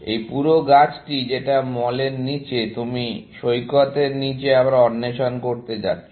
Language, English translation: Bengali, This entire tree that is below mall; you are going to explore below beach, again, essentially